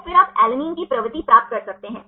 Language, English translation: Hindi, So, then you can get the propensity of alanine